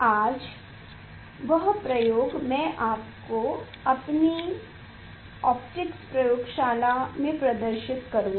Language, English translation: Hindi, that experiment today I will demonstrate in our optics laboratory